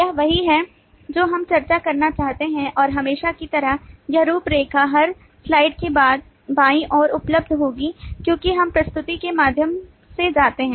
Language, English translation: Hindi, this is what we intend to discuss and, as usual, this outline would be available to the left of every slide as we go through the presentation